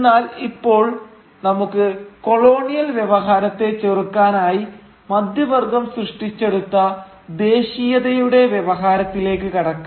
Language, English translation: Malayalam, But for now, let us return to the discourse of nationalism which the middle class created to counter the colonial discourse